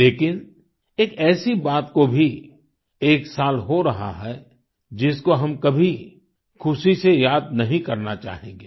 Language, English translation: Hindi, However, it has been one year of one such incidentwe would never want to remember fondly